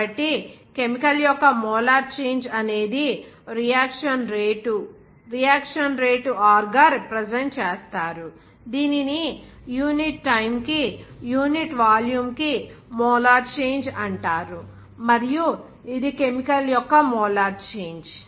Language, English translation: Telugu, So, that case molar change of chemical is the reaction rate, which is represented by r, this is called molar change per unit time Park unit volume and this molar change of chemical